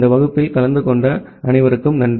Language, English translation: Tamil, Thank you for attending this class